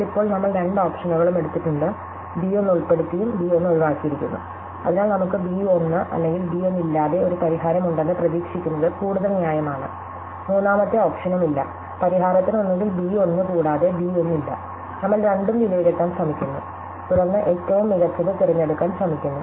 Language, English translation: Malayalam, But we have now taken both options, we have included b 1 and excluded b 1, so it is more reasonable to expect that we have a either a solution with b 1 or without b 1, there are no third option, the solution either has b 1 and does not have b 1, we are trying to evaluate both and then we are trying to choose the best one